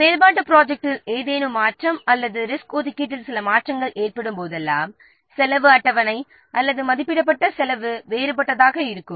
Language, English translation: Tamil, So, whenever there will be some change in the activity plan or some change in the resource allocation, the cost schedule or the estimated cost will be different